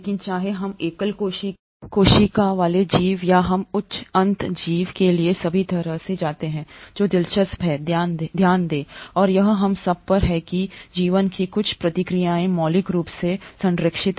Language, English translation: Hindi, But whether we take a single celled organism or we go across all the way to higher end organism, what is interesting is to note and this is what we all cling on to is that certain processes of life are fundamentally conserved